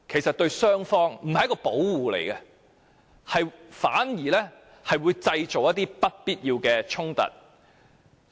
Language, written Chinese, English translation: Cantonese, 這對雙方非但不是一種保護，反而會製造不必要的衝突。, These mills barriers will not provide protection to either party; instead they will only create unnecessary conflict